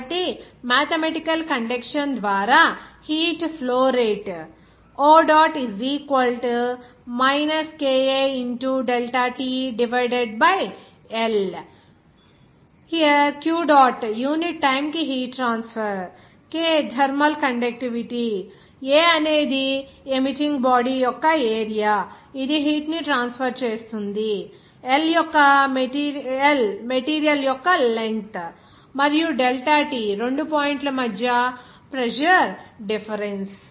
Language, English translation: Telugu, So, mathematically the rate of heat flow by conduction can be expressed as where Q dot is heat transfer per unit time, K the thermal conductivity, A is the area of the emitting body from which this heat will be transferred, L the length of the material, and delta T is the temperature difference there between the two points